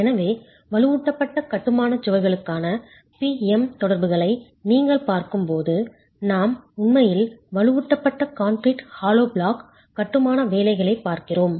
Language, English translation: Tamil, So, when you are looking at PM interactions for reinforced masonry walls, we are really looking at reinforced grouted concrete hollow block masonry